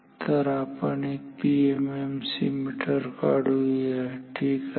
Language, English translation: Marathi, So, let us draw a PM MC meter ok